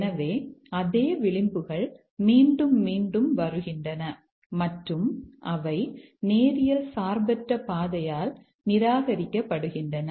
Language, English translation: Tamil, So, the same edges are repeating and get excluded by linearly independent path